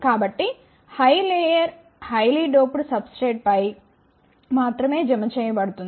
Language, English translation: Telugu, So, the high layer is deposited only on highly doped substrate